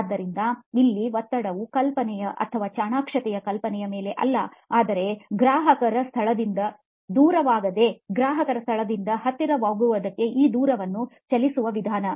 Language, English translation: Kannada, So here the stress is not on the idea or the cleverness of the idea but the approach in moving this far distance from customer location to near distance from customer location